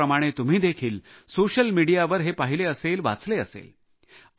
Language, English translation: Marathi, You must have read and seen these clips in social media just like I have